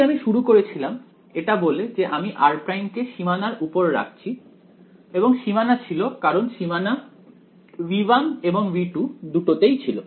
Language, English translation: Bengali, So, I had started by saying I am putting r prime on the boundary and boundary was because boundaries both in V 1 and V 2